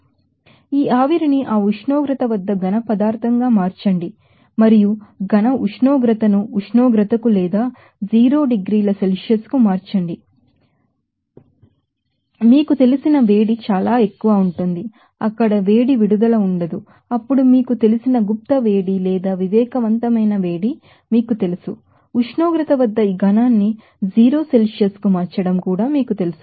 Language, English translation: Telugu, So, again there will be a huge amount of you know heat is required to you know convert this vapor to the solid at that temperature again solid temperature to temperature or to 0 degree Celsius there will be no releasing of heat there then there will be you know that again sensible you know latent heat or sensible heat is required from you know converting this solid at temperature T to 0 Celsius